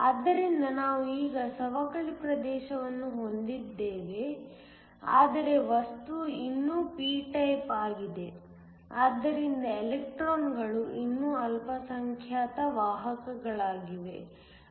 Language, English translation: Kannada, So, we now have a depletion region, but the material is still p type, so that electrons are still the minority carriers